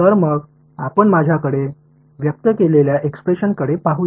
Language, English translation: Marathi, So, let us let us look at the expression that I had